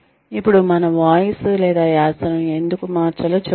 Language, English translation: Telugu, Now, one will say, why should we change our voice or accent